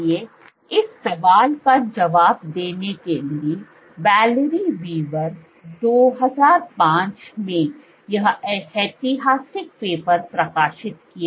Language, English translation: Hindi, So, to answer this question Valerie Weaver, so she published this landmark paper in 2005